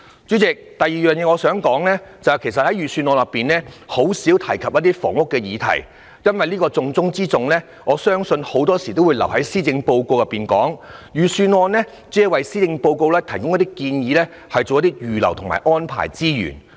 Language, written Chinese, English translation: Cantonese, 主席，我想指出的第二點是，財政預算案甚少提到房屋議題，因為這個重中之重的議題，很多時候也會留待施政報告講述，而預算案只是為施政報告提供建議，以及預留及安排資源。, President the second point I wish to raise is that the Budget has not said much on the housing issue . As this issue is the top priority it is often dealt with in the Policy Address and the Budget will only make proposals for the Policy Address and earmark resources accordingly